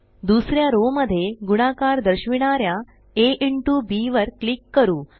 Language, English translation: Marathi, Let us click on a into b in the second row denoting multiplication